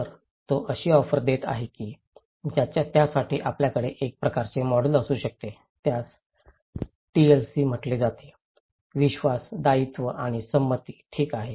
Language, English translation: Marathi, So, he is offering that for that we can have a kind of model which is called TLC; trust, liability and consent okay